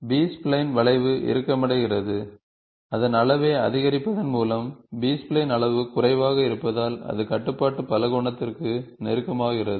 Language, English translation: Tamil, The B spline curve tightens, by increasing its degree, as the degree of the B spline is lower, it becomes close to the control polygon